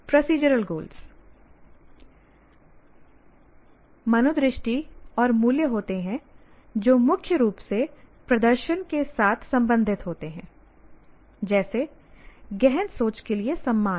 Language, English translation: Hindi, And procedural goals are again attitudes and values concerned mainly with demonstrating, like respect for critical thinking